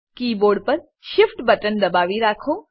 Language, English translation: Gujarati, Hold the Shift button on the keyboard